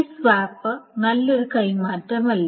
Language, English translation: Malayalam, So this swap is not a good swap